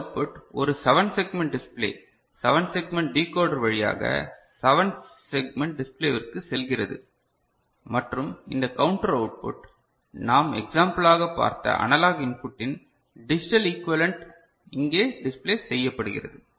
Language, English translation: Tamil, And this output; now through a 7 segment display 7 segment decoder, it goes to 7 segment display and the counter output which is the digital equivalent ok, we shall see an example of the analog input that will be displayed over here ok, that will be displayed over here